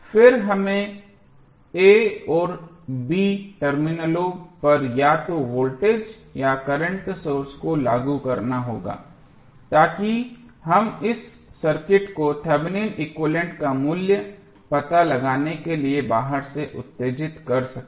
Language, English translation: Hindi, Then we have to apply either the voltage or the current source across the a and b terminals so that we can excite this circuit from outside to find out the value of Thevenin equivalent